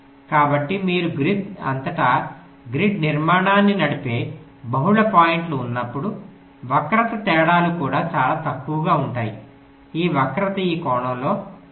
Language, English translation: Telugu, so when you have multiple points driving the grid structure across the grid, the skew differences, it is also very less